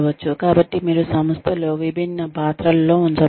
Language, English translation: Telugu, So you are given, you put in different roles, within the organization